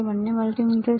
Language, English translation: Gujarati, Both are multimeters